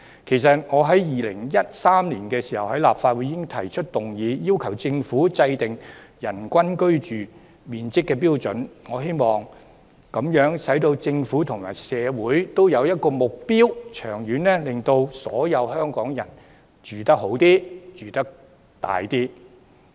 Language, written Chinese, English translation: Cantonese, 其實，我在2013年已在立法會提出議案，要求政府制訂人均居住面積標準，藉此為政府和社會訂下目標，長遠而言改善所有香港人的居住環境。, In fact I already proposed a motion in the Legislative Council in 2013 to request the Government to formulate a standard for the average living space per person with a view to setting a goal for the Government and society so as to improve the living environment of all people in Hong Kong in the long run